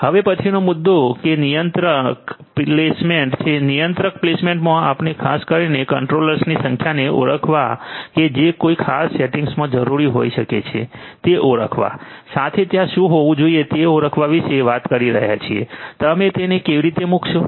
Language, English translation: Gujarati, The next issue is the controller placement, in controller placement we are typically talking about issues of dealing with identifying the number of controllers that might be required in a particular setting, identifying what should be there to be placed